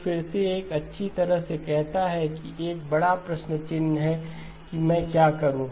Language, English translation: Hindi, So again this says well there is a big question mark saying okay what do I do